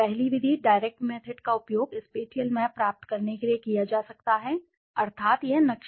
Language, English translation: Hindi, The first method, direct method can be used for obtaining the spatial map, that means this map